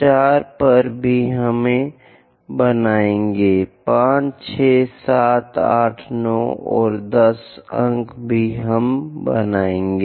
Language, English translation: Hindi, At 4 also we will draw, 5, 6, 7, 8, 9 and 10 points also we will draw